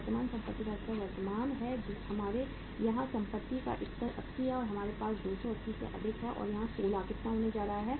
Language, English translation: Hindi, The current assets level is current assets level we have here is 80 and we have 280 plus how much is going to be there 16